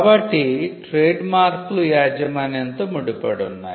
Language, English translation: Telugu, So, trademarks were tied to ownership